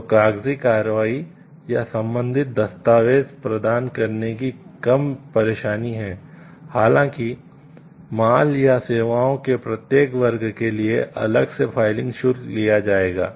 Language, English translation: Hindi, So, there is less hassle of paperwork or providing relevant documents; however, filing fee will be charged separately for each class of goods or services